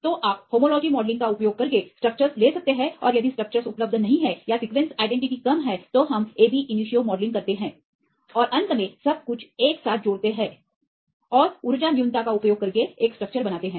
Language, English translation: Hindi, So, you can take the structures using homology modelling and if the structures are not available or the sequence identity is less, then we do the ab initio modelling and finally, combine everything together and make a single structure using energy minimization